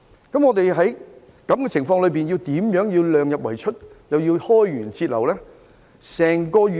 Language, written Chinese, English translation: Cantonese, 在這樣的情況之下，香港怎樣量入為出同時開源節流？, Under such circumstances how can Hong Kong keep the expenditure within the limits of revenues while cutting expenditure and raising revenue?